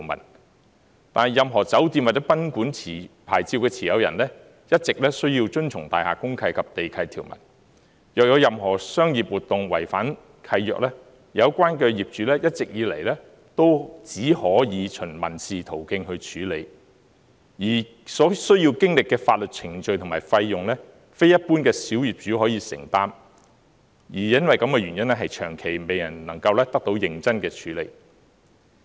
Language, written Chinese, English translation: Cantonese, 然而，任何酒店或賓館牌照的持有人，一直需要遵從大廈公契及地契條文，若有任何商業活動違反契約，有關業主一直以來只可以循民事途徑去處理，而且所需要的法律程序及費用，非一般小業主可以承擔，因而長期未能夠得到認真處理。, However any hotel or guesthouse licensee needs to observe the provisions in the buildings deed of mutual covenant and the land lease . If the relevant commercial business has breached the deed of mutual covenant the owners of the relevant building can at most take civil action . Yet the legal procedure and costs involved are beyond the affordability of most small owners